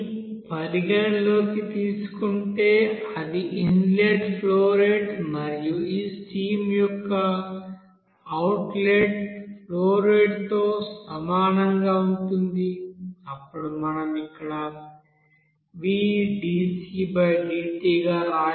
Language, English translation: Telugu, So here we can write again if we consider that v in that is inlet flow rate and outlet flow rate of this stream is equal then we can write here, we can write here as, we can write vdc/dt